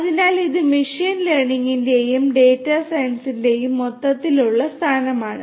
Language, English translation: Malayalam, So, this is the overall positioning of machine learning and data science